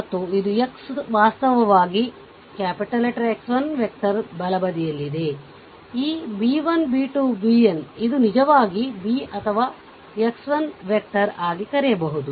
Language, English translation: Kannada, And this is x is actually n into 1 vector ah right hand side this b 1 b 2 b n it is actually b or what you call n into 1 vector, right